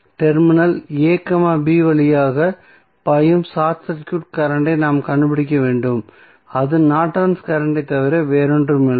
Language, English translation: Tamil, So, we need to find out the short circuit current flowing through terminal a, b and that would be nothing but the Norton's current